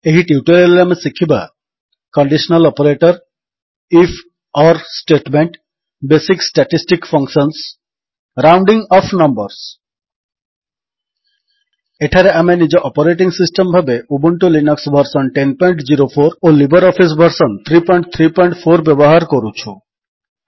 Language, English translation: Odia, In this tutorial we will learn about: Conditional Operator If..Or statement Basic statistic functions Rounding off numbers Here we are using Ubuntu Linux version 10.04 as our operating system and LibreOffice Suite version 3.3.4